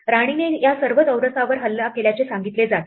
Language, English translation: Marathi, The queen is said to attack all these squares